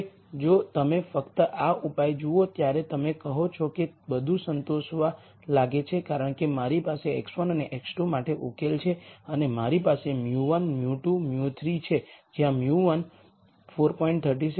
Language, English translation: Gujarati, Now if you just look at this solution, you will you will say it seems to satisfy everything because I have a solution for x 1 and x 2 and I have mu 1, mu 2, mu 3 where mu 1 is minus 4